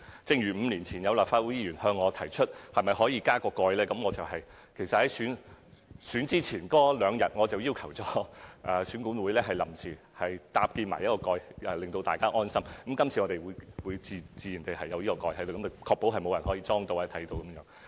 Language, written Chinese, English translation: Cantonese, 正如5年前，曾有立法會議員向我提出，是否可以加設上蓋；我在選舉前一兩天，要求選管會臨時搭建上蓋，令大家安心，今次亦自然設有上蓋，確保沒有任何人可以偷窺得到。, Five years ago for example some Members asked me if it was possible to seal the tops of the voting booths . So one or two days before the election at the last minute I asked EAC to seal the tops of the voting booths just to put everybodys mind at rest . In this upcoming election the tops of the voting booths will also be sealed to ensure no peeping can be possible